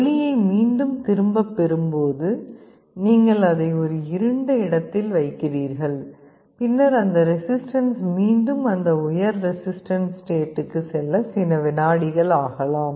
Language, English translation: Tamil, And when light is withdrawn again you put it in a dark place, then it can take a couple of seconds for the resistance to go back to that high resistance state